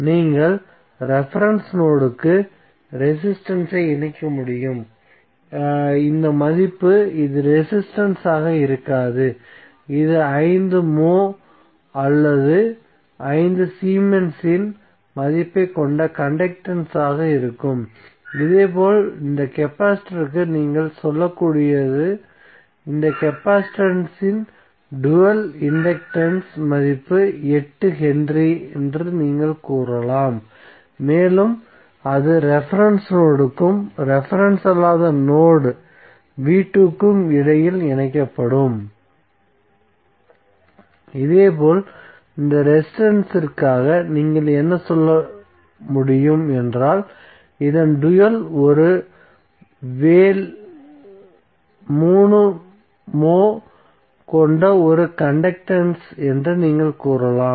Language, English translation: Tamil, So, what will happen you can just connect resistance to the reference node and this value would be this will not be resistance this would be conductance having value of 5 moh or 5 Siemens, similarly for this capacitor what you can say, you can say that the dual of this capacitance is inductance, value would be 8 henry and it will be connected between the reference node and the non reference node v2, similarly for this resistance what you can say, you can say the dual of this is a conductance having a vale 3 moh